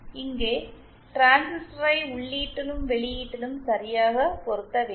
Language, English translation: Tamil, Here the transistor needs to be properly matched at the input as well as at the output